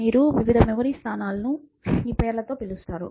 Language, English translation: Telugu, So, you are saying various memory locations are going to be called by these names